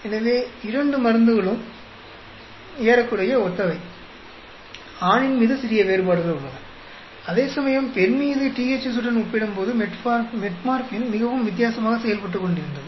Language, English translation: Tamil, So both the drugs are almost similar, little small differences on male, whereas Metformin was performing very very differently and compared to THZ on female